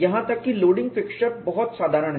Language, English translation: Hindi, Even the loading fixtures are much simpler